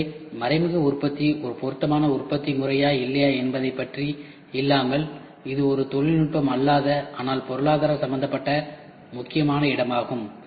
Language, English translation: Tamil, So, this is indirect manufacturing whether it is an appropriate manufacturing method or not is not a technical, but only economic place of major important thing